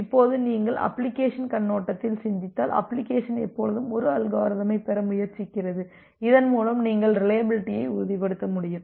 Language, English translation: Tamil, Now if you just think about from the application perspective, the application always wants or the application always try to have an methodology through which you will be able to ensure reliability